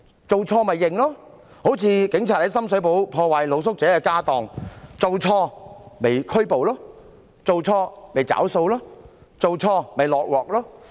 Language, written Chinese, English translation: Cantonese, 做錯便承認，例如警察在深水埗破壞露宿者的家當，做錯便拘捕，做錯便"找數"，做錯便"落鑊"。, If one has done something wrong one should just admit it . For example some police officers have damaged the belongings of the street sleepers in Sham Shui Po . The wrongdoers should be arrested bear the consequences and be held responsible